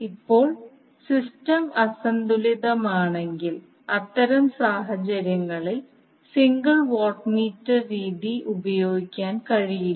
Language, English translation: Malayalam, Now if the system is unbalanced, in that case the single watt meter method cannot be utilized